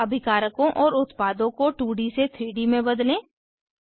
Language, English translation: Hindi, Now lets convert the reactants and products from 2D to 3D